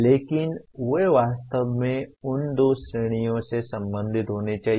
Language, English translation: Hindi, But they truly should belong to those two categories